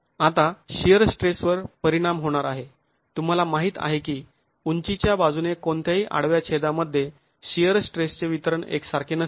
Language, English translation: Marathi, Now the shear stress is going to be affected by the you know that the shear stress distribution in any cross section along the height is not uniform